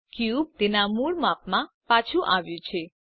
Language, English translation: Gujarati, The cube is back to its original size